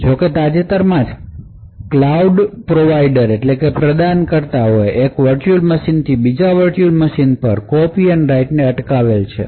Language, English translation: Gujarati, So however, very recently cloud providers have prevented copy on write from one virtual machine to another virtual machine